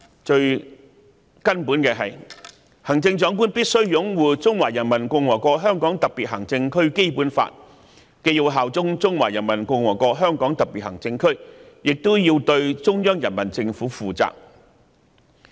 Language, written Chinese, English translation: Cantonese, 最根本的是，行政長官必須擁護《中華人民共和國香港特別行政區基本法》，既要效忠中華人民共和國香港特別行政區，亦要對中央人民政府負責。, The essence of the oath is that the Chief Executive must uphold the Basic Law of the Hong Kong SAR of the Peoples Republic of China . She must be loyal to the Hong Kong SAR and she is also accountable to the Central Peoples Government